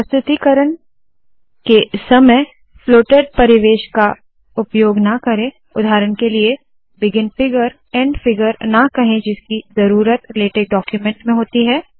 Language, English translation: Hindi, Do not use floated environments in presentations, for example, dont say begin figure, end figure which u need in the latex document